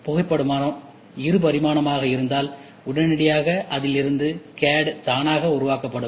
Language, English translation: Tamil, And in the photograph if it is 2D, immediately the photograph can be used as an input the CAD is automatically generated